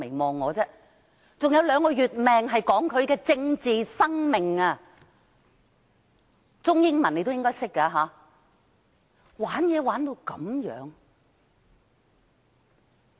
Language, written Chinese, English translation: Cantonese, 還有兩個月壽命是指他的政治生命，中英文你也應該懂得吧。, When I said two months are left of his life I was referring to his political career . I guess Chinese and English should be no strangers to you